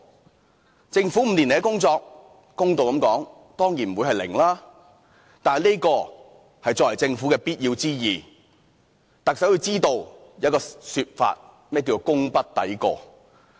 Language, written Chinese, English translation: Cantonese, 公道的說，政府5年來的工作，當然不會是"零"，這是作為政府的必要之義，但特首要知道"功不抵過"這種說法的意思。, To be fair of course it is impossible that the Government has zero accomplishment over these five years . The Government is duty - bound to produce a certain level of attainment . However the Chief Executive should know that ones achievements cannot outweigh his faults